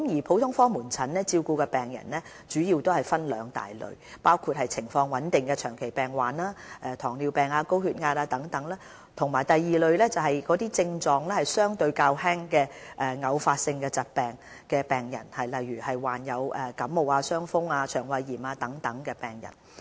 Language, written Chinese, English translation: Cantonese, 普通科門診照顧的病人主要分為兩大類，包括情況穩定的長期病患者，例如糖尿病、高血壓病人等，以及症狀相對較輕的偶發性疾病病人，例如患有感冒、傷風、腸胃炎等的病人。, Patients under the care of general outpatient clinics GOPCs fall into two major categories chronically ill patients in stable medical condition such as patients with diabetes mellitus or hypertension; and episodic disease patients with relatively mild symptoms such as those suffering from influenza cold or gastroenteritis